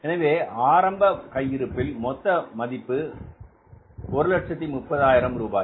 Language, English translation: Tamil, Total value of this stock is 130,000 rupees